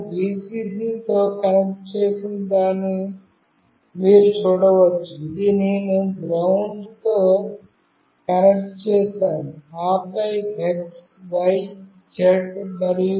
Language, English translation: Telugu, You can see this I have connected with Vcc, this I have connected with GND, and then x, y, z